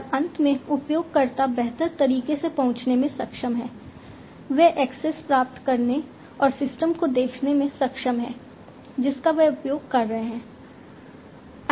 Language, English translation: Hindi, And finally, the users are able to get access in a smarter way, they are able to get access and view the system, that they are using